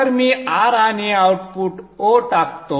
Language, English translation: Marathi, So let me plot R and output open